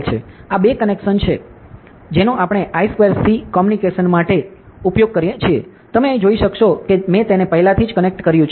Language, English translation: Gujarati, These are the two connections that we use for I square C communication, you can see here I have already connected it, ok